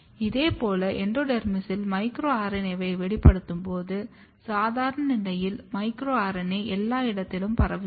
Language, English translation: Tamil, Similarly, when you express micro RNA in endodermis, you can see under normal condition, the micro RNAS are getting diffused and it is spreaded everywhere